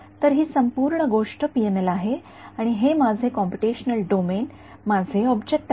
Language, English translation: Marathi, So, this whole thing is PML and this is my computational domain my object ok